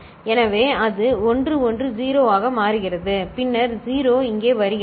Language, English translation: Tamil, So, that becomes 1 1 0, then 0 comes here